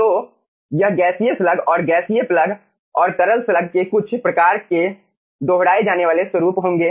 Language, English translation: Hindi, so it will be some sort repetitive pattern of gaseous slug and gaseous plug and liquid slug